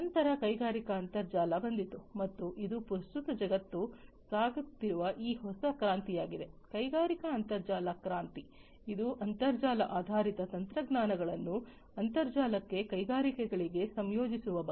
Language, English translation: Kannada, Then came the industrial internet and this is this new revolution that the world is currently going through, the industrial internet revolution, which is about integration of internet based technologies to the internet to the industries